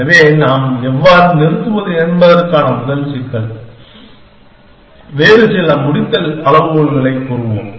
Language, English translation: Tamil, So, the first problem of how do we stop, we will say that put some other termination criteria